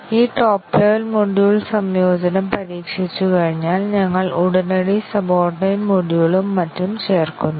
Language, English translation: Malayalam, And then once we have this top level module integration tested, we add the immediate subordinate module and so on